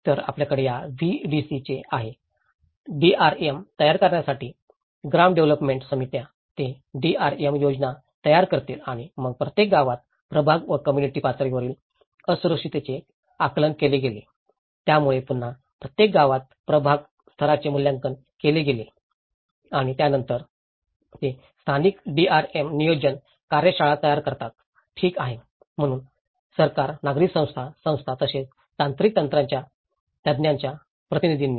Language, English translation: Marathi, So, you have these VDC’s; village development committees to prepare the DRMs so, they will prepare the DRM plans and then the ward and community level vulnerability assessments were carried out in each VDC, so there is again ward level assessment has been carried out in each VDC and then that is where, they form the local DRM planning workshops okay, so with represent of government, civil society, organizations as well as technical experts